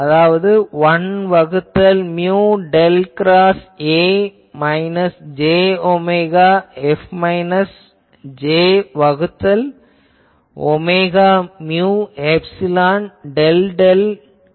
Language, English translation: Tamil, So, H will be H A plus H F and that you can write as 1 by mu del cross A minus j omega F minus j by omega mu epsilon del del dot F ok